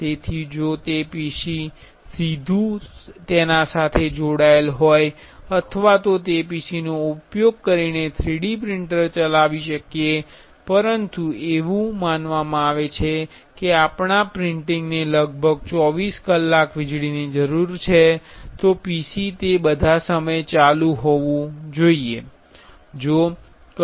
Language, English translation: Gujarati, So, if it is directly connected to a PC we can operate the 3D printer using that PC, but the problem is suppose our printing need around 24 hours